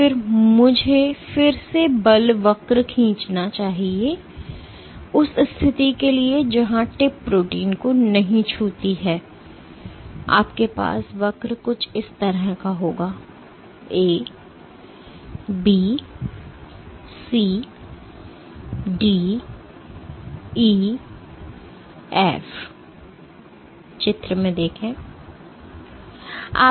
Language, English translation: Hindi, So, let me again draw the force curve, for the case where the tip does not touch the protein you will have a curve something like this; A, B, C, D, E, F